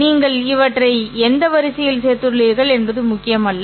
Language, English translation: Tamil, It does not matter in which order you have added them